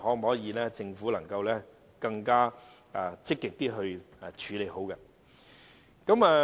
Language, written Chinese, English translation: Cantonese, 我希望政府能夠更積極地處理好相關事宜。, I hope the Government can deal with this issue properly in a more proactive manner